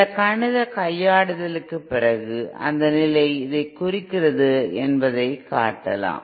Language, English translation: Tamil, After some mathematical manipulation it can be shown that that condition reduces to this